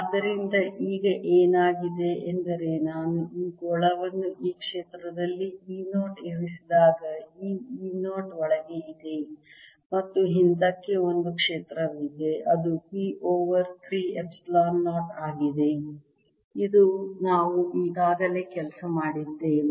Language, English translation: Kannada, so what has happened now is that when i put this sphere in this field e, there is this e zero inside and there is a field backwards which is p over three epsilon zero